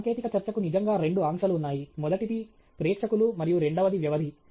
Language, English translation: Telugu, There are really two constraints for a technical talk: the first is audience and the second is the duration okay